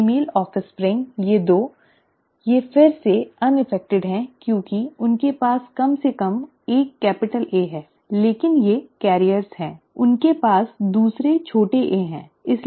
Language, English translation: Hindi, The female offspring, these 2 they are again unaffected because they have at least one capital A, but they are carriers, they have the other small a, right